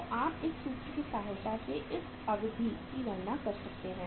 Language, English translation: Hindi, So you can calculate this duration with the help of this formula